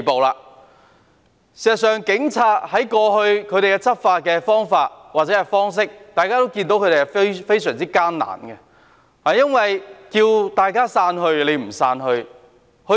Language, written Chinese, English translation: Cantonese, 事實上，警察過去的執法，大家都看到是非常艱難的，因為他們呼籲市民散去，卻沒有人聽從。, As a matter of fact enforcement by the Police as we have seen was very difficult in the past because they called on the people to disperse but no one listened